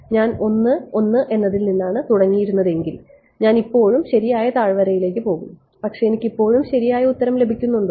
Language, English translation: Malayalam, If I had started from let us say one one one, but I still go in to the correct valley, but I still get the correct answer